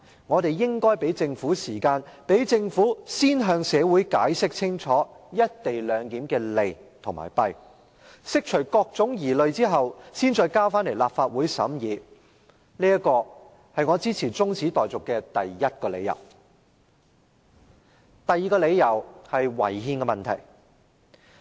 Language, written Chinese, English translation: Cantonese, 我們應給予政府時間，讓政府先向社會清楚解釋"一地兩檢"的利弊，釋除各種疑慮後，才再把《條例草案》提交立法會審議，這是我支持這項中止待續議案的第一個理由。, We should allow time for the Government to first clearly explain the merits and demerits of the co - location arrangement to the community and dispel various misgivings . Only after that should the Government introduce the Bill into this Council for scrutiny again . This is the first reason why I support this adjournment motion